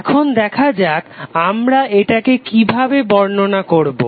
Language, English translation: Bengali, So now let us see how we will define it